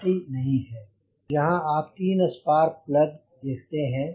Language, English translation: Hindi, you can see the three spark plugs